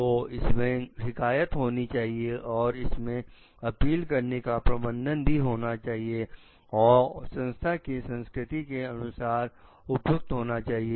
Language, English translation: Hindi, So, it must the complaints and the appeals mechanism, must fit the organizational culture